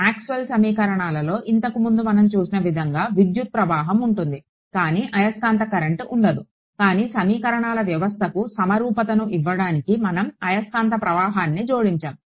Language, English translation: Telugu, It is just like how in Maxwell’s equations earlier we had an electric current, but no magnetic current right, but we added a magnetic current to give symmetry to the system of equations